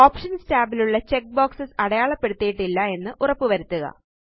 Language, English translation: Malayalam, Ensure that all the check boxes in the Options tab are unchecked